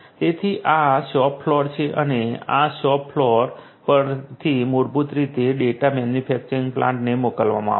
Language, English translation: Gujarati, So, this is the shop floor and from this shop floor basically the data are going to be sent to the manufacturing plant